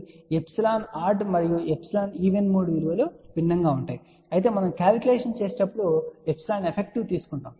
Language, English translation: Telugu, So, epsilon odd mode and epsilon even mode values will be different ok whereas, when we do the calculation we take epsilon effective